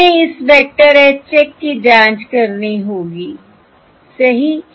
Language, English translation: Hindi, Let us call this vector as your H check plus this is V check